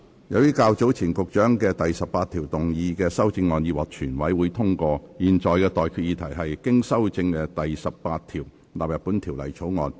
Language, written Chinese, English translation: Cantonese, 由於較早前局長就第18條動議的修正案已獲全委會通過，我現在向各位提出的待決議題是：經修正的第18條納入本條例草案。, As the Secretarys amendments to clause 18 have been passed by the committee earlier I now put the question to you and that is That clause 18 as amended stands part of the Bill